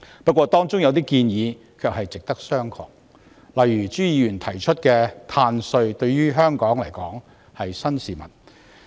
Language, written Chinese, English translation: Cantonese, 不過，當中有些建議值得商榷，例如朱議員提出的"碳稅"，對香港而言是新事物。, However some of the proposals are debatable . For example the carbon tax proposed by Mr CHU is a new thing to Hong Kong